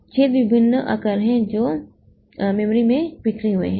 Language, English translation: Hindi, Holes of various sizes are scattered throughout the memory